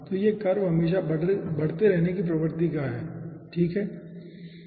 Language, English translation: Hindi, so this curve is always increasing in nature